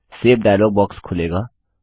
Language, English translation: Hindi, The Save dialog box will open